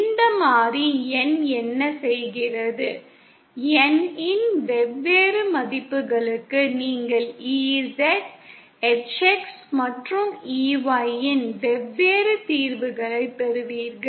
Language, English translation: Tamil, What this variable N does is, for different values of N you get different solutions of EZ, HX and EY